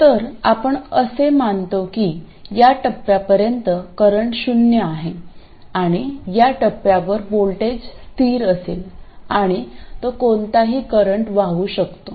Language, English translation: Marathi, So we assume that there is zero current up to this point and at this point the voltage will be constant and it can carry any current